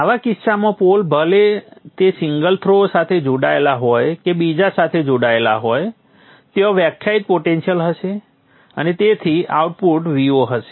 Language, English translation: Gujarati, In such a case the pole whether it is connected to one throw or the other will have a defined potential and therefore the output V0